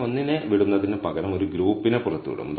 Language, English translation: Malayalam, Now instead of leaving one out, we will leave one group out